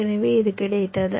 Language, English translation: Tamil, so what you have got